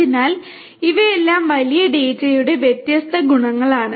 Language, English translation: Malayalam, So, all of these are different attributes of big data